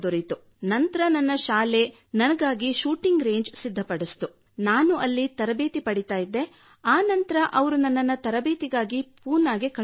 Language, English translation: Kannada, Then my school made a shooting range for me…I used to train there and then they sent me to Pune for training